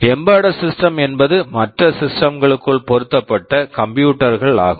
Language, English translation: Tamil, Embedded systems are computers they are embedded within other systems